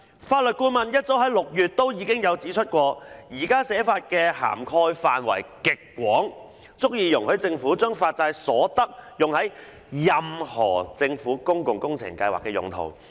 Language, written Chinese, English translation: Cantonese, 法律顧問早於6月已經指出，現時的寫法涵蓋範圍極廣，足以容許政府將發債所得用於任何政府公共工程計劃的用途。, The Legal Adviser already pointed out as early as in June that given the extensive scope under the Resolution as presently drafted the Government will be able to spend the sums raised by bond issuances on any public works project